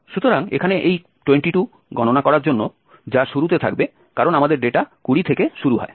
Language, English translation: Bengali, So, here for computing this 22, which is at the beginning because our data starts from 20